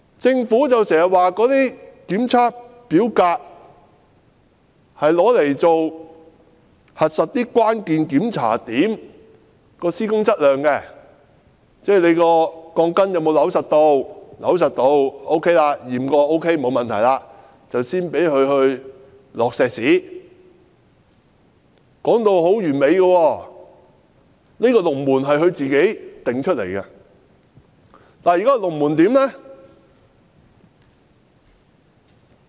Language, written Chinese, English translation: Cantonese, 政府經常說，這些檢測表格是用來核實關鍵檢查點的施工質量，即鋼筋有否扭緊，檢查過有扭緊並且沒有問題後，才可以灌注混凝土，說得很完美，這個龍門是它自己定下的。, The Government kept saying that the RISC forms were used to verify the quality of works at the hold points ie . whether the rebars had been screwed in tightly . It was only after such a check and no problem was found that concreting could be conducted